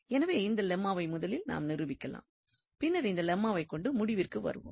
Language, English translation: Tamil, So, first we will proof this Lemma and with the help of this Lemma we will go, get back to this result